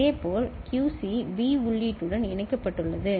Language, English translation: Tamil, Similarly QC is connected to B input